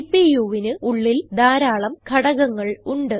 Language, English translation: Malayalam, There are many components inside the CPU